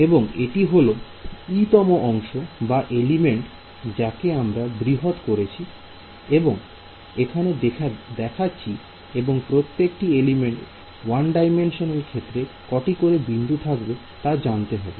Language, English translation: Bengali, So, this is the eth segment or the eth element which I am zooming in and then showing over here and each element in 1D will have how many nodes